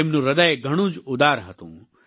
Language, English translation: Gujarati, She had a very generous heart